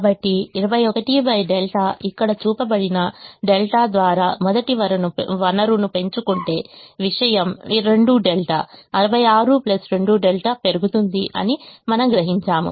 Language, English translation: Telugu, so we realize that if we increase the first resource by delta, which is shown here, twenty one by delta, the thing goes up by two delta: sixty six plus two delta